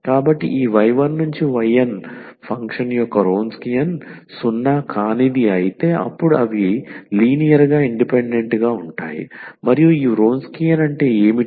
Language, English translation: Telugu, So, if the Wronskian here of this y 1, y 2, y 3, y n function is non zero; if this Wronskian is non zero; then they are linearly independent and what is this Wronskian